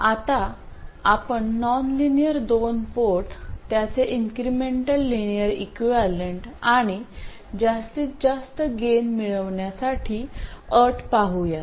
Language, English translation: Marathi, What we will now do is look at the nonlinear 2 port, specifically its incremental linear equivalent and establish the conditions for maximizing the gain